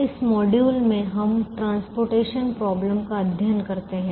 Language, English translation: Hindi, in this module we study the transportation problem